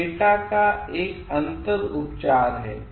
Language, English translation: Hindi, It is a differential treatment of data